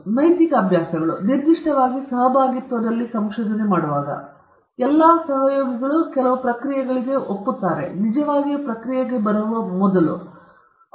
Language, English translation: Kannada, So, the ethical practices, when particularly in collaborative research, it is important that all the collaborators agree upon certain practices, before they really get into the process